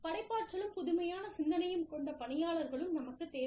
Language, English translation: Tamil, And, we also need people, who are creative and innovative